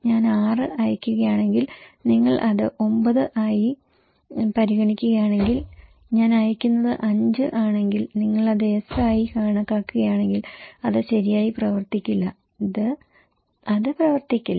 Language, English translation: Malayalam, If I am sending 6 and if you are considering it as 9, if I am sending 5 and if you are considering it as S then it would not work right, it would not work